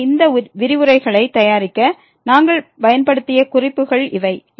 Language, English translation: Tamil, So, these are the references which we have used to prepare these lectures